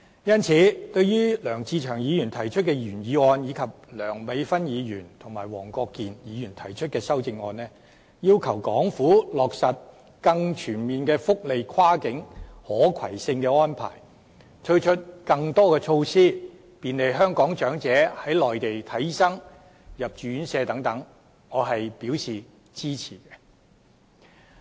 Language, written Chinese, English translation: Cantonese, 因此，對於梁志祥議員提出的原議案，以及梁美芬議員和黃國健議員提出的修正案，要求港府落實更全面的福利跨境可攜性安排，推出更多措施便利香港長者在內地求診、入住院舍等，我均表示支持。, Hence I support the original motion proposed by Mr LEUNG Che - cheung and the amendments proposed by Dr Priscilla LEUNG and Mr WONG Kwok - kin to request the Hong Kong Government to implement more cross - boundary portability arrangements for welfare benefits introduce more measures to facilitate Hong Kong elderly people to seek medical consultations and live in residential care homes on the Mainland